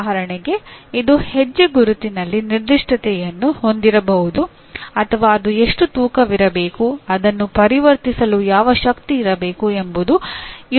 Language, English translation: Kannada, For example, it may have a, what do you call specification on the footprint or how much it should weigh, what is the power it should be able to convert